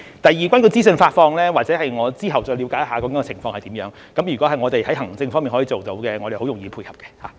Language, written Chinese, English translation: Cantonese, 第二，有關資訊發放，我之後再了解情況為何，如果我們可以在行政方面做到，我們是容易配合的。, Secondly regarding the dissemination of information I will look into the situation later . If it is administratively viable we can easily cater for that